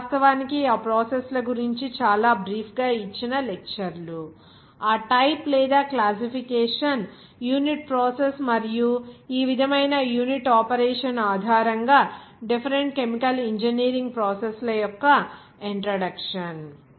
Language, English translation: Telugu, This actually lectures just given that very brief of those processes, that introduction that different chemical engineering process based on that type or classification unit process and unit operation like this